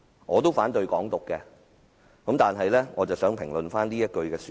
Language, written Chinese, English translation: Cantonese, 我其實也反對"港獨"，但卻想先評論一下這句說話。, Actually I oppose Hong Kong independence too but I wish to comment on these words